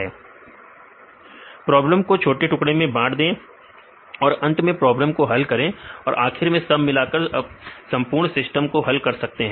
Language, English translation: Hindi, divide the problem into Yeah, divide the problem into small peices finally, solve the problems and then finally, combine together and you solve the whole system right